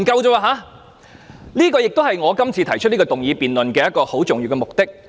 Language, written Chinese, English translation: Cantonese, 這也是我今天動議這項議案的一個重要目的。, This is also one important objective behind my motion today